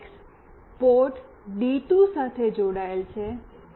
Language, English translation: Gujarati, The TX is connected to port D2